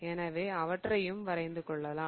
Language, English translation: Tamil, So, I am going to draw those as well